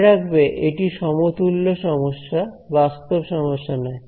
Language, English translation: Bengali, Remember this is a equivalent problem this does not physically exist